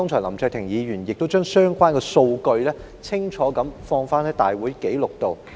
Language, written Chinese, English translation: Cantonese, 林卓廷議員剛才清楚提及相關數據，以記錄入立法會會議紀錄中。, Mr LAM Cheuk - ting has clearly read out the relevant figures so that they can be put on the meeting records of the Legislative Council